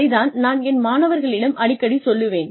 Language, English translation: Tamil, That is what, I keep telling my students